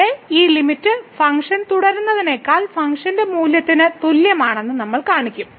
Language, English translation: Malayalam, So, we will show that this limit here is equal to the function value than the function is continuous